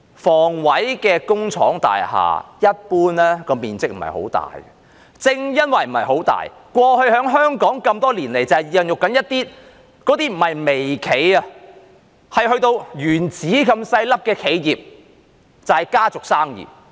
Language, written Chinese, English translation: Cantonese, 房委會工廠大廈一般面積不大，正因為不是很大，過去在香港多年來孕育出一些企業，這些企業不是微企，而是原子這麼小的企業，就是家族生意。, HA factory estate units are generally not very large in size and exactly because they are not very large they have nurtured a number of businesses in Hong Kong over the years that are not microenterprises but rather businesses as small as atoms or family businesses